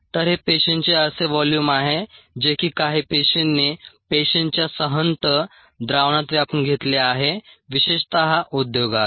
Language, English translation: Marathi, this is the volume that is occupied by the cells in a rather concentrated solution of cells, typically in the industry